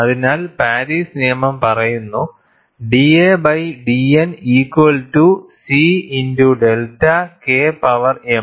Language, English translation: Malayalam, So, the Paris law states, d a by d N equal to C into delta K power m